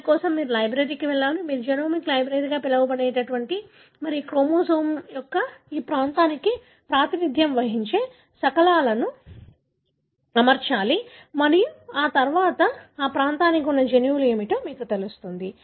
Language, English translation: Telugu, For that you need to go to the library, what you call as genomic library and get fragments that represent that region of the chromosome, arrange them and then, you know, characterize that region as to what are the genes that are present